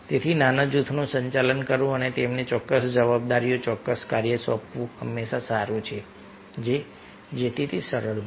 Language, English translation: Gujarati, so it is always good to manage the smaller groups and assign certain responsibilities, certain task to them, so it becomes easier